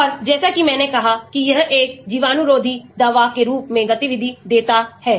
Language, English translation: Hindi, And as I said this is what gives the activity as an antibacterial drug